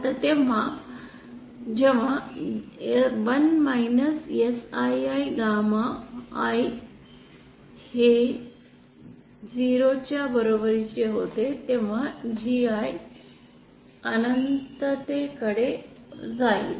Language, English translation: Marathi, Now this happens when 1 ASSI gamma I this becomes equal to 0 then GI will tend to infinity